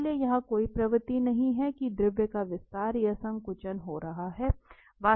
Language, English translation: Hindi, So there is no tendency here that the fluid is expanding or contracting